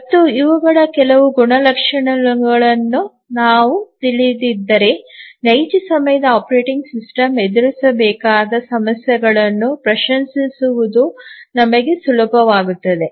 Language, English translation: Kannada, And if we know some of the characteristics of these it becomes easier for you, for us to appreciate the issues that a real time operating system would have to face